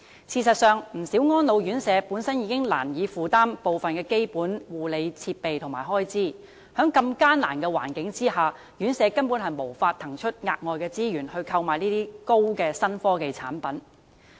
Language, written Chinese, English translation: Cantonese, 事實上，不少安老院舍本身已難以負擔部分基本護理設備和開支，在如此艱難的環境下，院舍根本無法騰出額外資源來購買高新科技產品。, In fact many RCHEs can hardly afford some of the expenses and basic nursing equipment on their own . They actually cannot spare extra resources to buy any new high - tech products in such dire straits